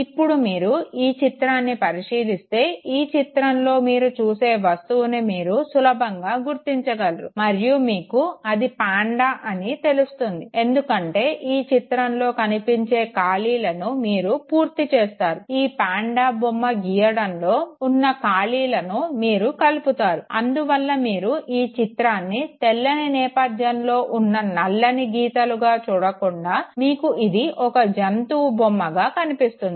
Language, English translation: Telugu, Now when you actually see it, you can very easily make out what you are looking at and you see it as panda because there are gaps that you see you try to close it, you try to fill it and therefore this is not looked upon as some black filled areas against white background but rather it is looked upon as an animal